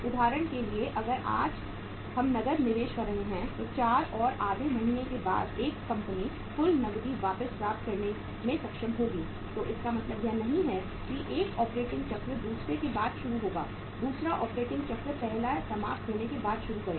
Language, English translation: Hindi, So cash we are for example if we are investing cash today then after 4 and half months this company will be able to recover the total cash back so it means it does not happen that one operating cycle will start after the another means second operating cycle will start once the first is finished